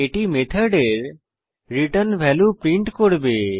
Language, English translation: Bengali, This will print the return value of the method